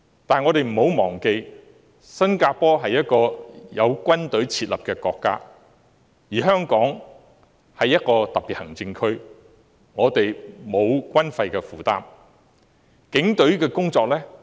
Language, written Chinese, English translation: Cantonese, 但是，我們不要忘記，新加坡是有設立軍隊的國家，而香港是一個特別行政區，我們沒有軍費的負擔。, However we should not forget that Singapore is a country with an army while Hong Kong is a Special Administrative Region without any military expenses